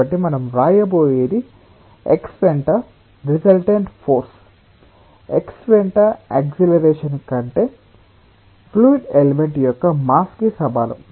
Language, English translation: Telugu, so what we are going to write is resultant force along x is equal to the mass of the fluid element times the acceleration along x